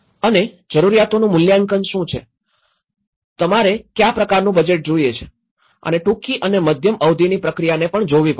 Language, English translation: Gujarati, And also, what are the needs assessment, what kind of budget you need right and one has to look at the short and medium term process